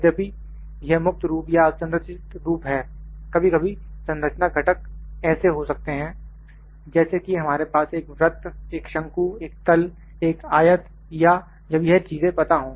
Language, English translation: Hindi, Though this is free form or unstructured form, sometimes structure components are like we have a circle, a cone, a plane, a rectangle or when these things are known